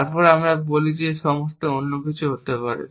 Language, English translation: Bengali, Then we say that everything else could be anything